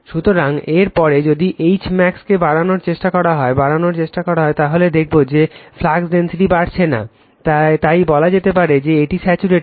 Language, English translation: Bengali, So, after that even if you increase your you try to increase H max that is I, you will find that flux density is not increasing, so this is the maximum value after saturation right